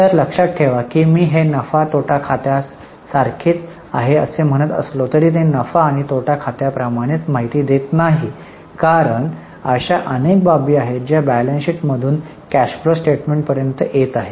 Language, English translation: Marathi, So, mind well, though I am saying it is somewhat similar to P&L, it is not that it is giving same information as in P&L because there are several items which would be coming from balance sheet to cash flow statement